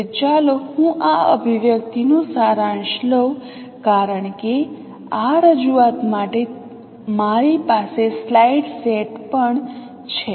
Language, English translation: Gujarati, So let me summarize these expressions because I have also the slide set for this representation